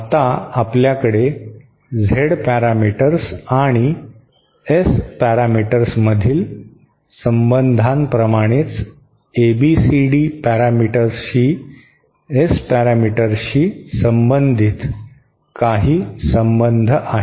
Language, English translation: Marathi, Now, there are some relations relating the S parameters to the ABCD parameters as well just like the relations we have between the Z parameters and the S parameters